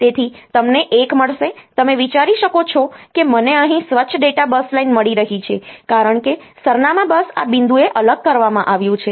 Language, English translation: Gujarati, So, the you will get a you get a you can think that I am getting a clean data bus line here, because the address bus has been separated it out separated out at this point